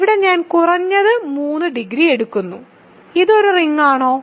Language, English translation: Malayalam, So, here I am taking degree at least 3, is this a ring